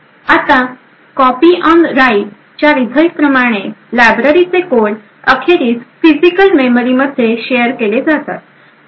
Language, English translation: Marathi, Now as a result of the copy on write, the library codes are eventually shared in the physical memory